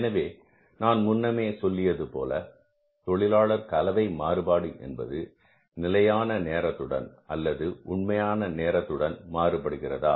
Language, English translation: Tamil, So, as I told you that we have to check in case of the labour mix variance that whether the standard time and the actual time are same or not